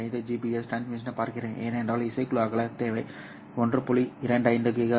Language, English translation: Tamil, 5 gbps transmission, for NRZ, the bandwidth requirement is 1